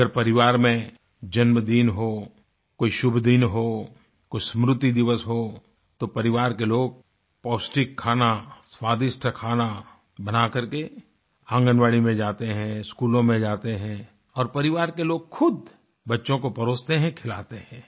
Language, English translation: Hindi, If the family celebrates a birthday, certain auspicious day or observe an in memoriam day, then the family members with selfprepared nutritious and delicious food, go to the Anganwadis and also to the schools and these family members themselves serve the children and feed them